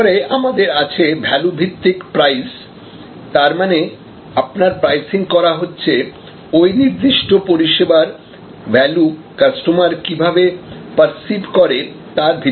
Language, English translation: Bengali, Then, we have value base pricing; that is pricing with respect to the value perceived by the consumer for that particular service